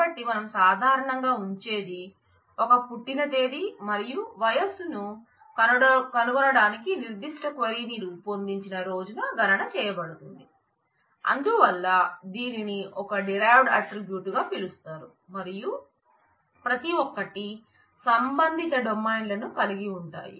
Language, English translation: Telugu, So, what we typically keep is a date of birth and the age is computed on the day when the particular query is made to find out what the age is so it is called a derived attribute and each 1 of them will have corresponding set of domains